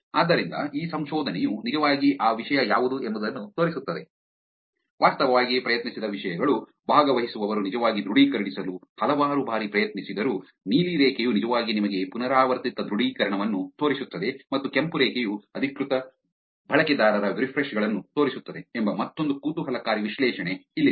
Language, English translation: Kannada, So, here is another interesting analysis that this research actually shows which is that subject, subjects actually tried, participants tried multiple times to actually authenticate which is the blue line is actually showing you repeated authentication and the red line is showing the refreshes of authenticated users, which is they trying to refresh and see whether they are able to log in to system